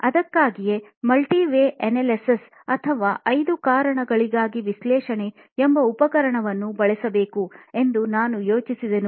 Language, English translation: Kannada, That's when I thought I would use a tool called multi Y analysis or five wise analysis